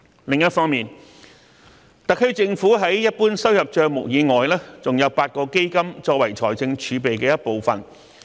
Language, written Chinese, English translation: Cantonese, 另一方面，特區政府在一般收入帳目以外還設有8個基金，作為財政儲備的一部分。, On the other hand in addition to the General Revenue Account the SAR Government has set up eight Funds which constitute part of its fiscal reserves